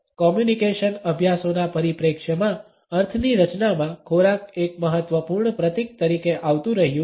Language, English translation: Gujarati, From the perspective of communication studies, food continues to be an important symbol in the creation of meaning